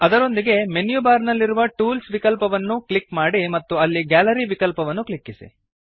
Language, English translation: Kannada, Alternately, click on Tools option in the menu bar and then click on Gallery to open it